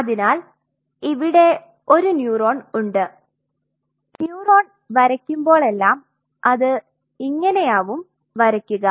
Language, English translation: Malayalam, So, here you have a classic neuron and whenever we draw the neurons we drew it like this right